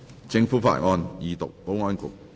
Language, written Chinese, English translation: Cantonese, 政府法案：二讀。, Government Bill Second Reading